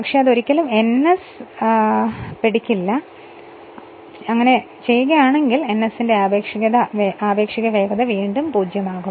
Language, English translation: Malayalam, But it will never catch ns, if it catches ns then n minu[s] relative speed will become 0 then right